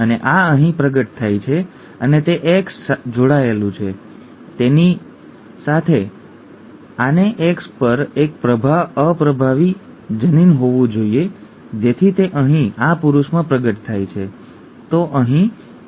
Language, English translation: Gujarati, And this is manifested here and it is X linked therefore this has to have a recessive allele on the X for it to be manifest in this male here, okay